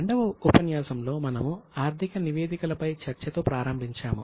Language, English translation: Telugu, In the second session we started with our discussion on financial statements